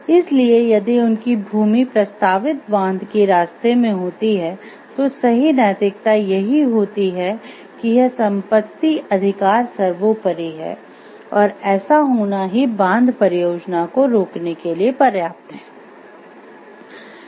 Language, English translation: Hindi, So, if their land happens to be in the way of the proposed dam, then the right ethics will hold that this property right is paramount and is sufficient to stop the dam project to happen